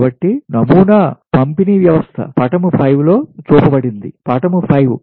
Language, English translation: Telugu, so a sample distribution system is shown in figure five